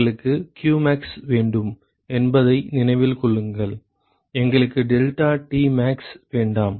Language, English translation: Tamil, Remember we want qmax, we do not want deltaTmax